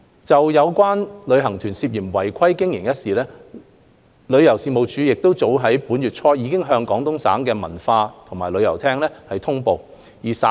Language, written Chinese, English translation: Cantonese, 就有旅行團涉嫌違法經營一事，旅遊事務署早於本月初已向廣東省文化和旅遊廳通報事件。, As regards tour groups suspected of violating relevant laws the Tourism Commission TC has already reported the incident to the Guangdong Province Culture and Tourism Unit the Unit in early November